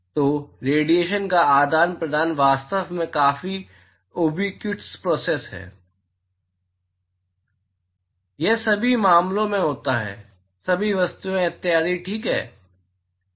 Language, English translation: Hindi, So, exchanging radiation is actually quite a ubiquitous process, it occurs across all matters, all objects etcetera ok